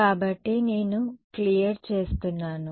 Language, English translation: Telugu, So I clear